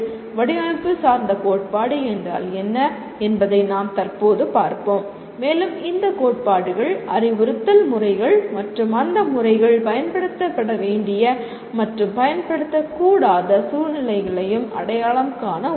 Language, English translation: Tamil, We will presently see what a design oriented theory is and these theories will also identify methods of instruction and the situations in which those methods should and should not be used